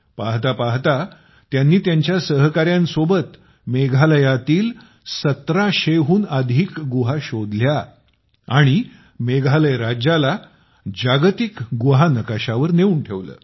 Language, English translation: Marathi, Within no time, he along with his team discovered more than 1700 caves in Meghalaya and put the state on the World Cave Map